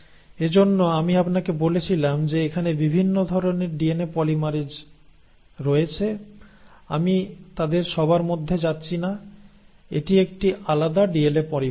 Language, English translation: Bengali, That is why I told you there are different kinds of DNA polymerases; I am not going into all of them, this is a different DNA polymerase